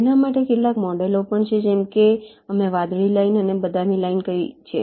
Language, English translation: Gujarati, there are some models for that, also, like the examples that we have said: the blue line and the brown line